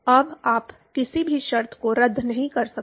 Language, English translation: Hindi, Now, you can not cancel out any terms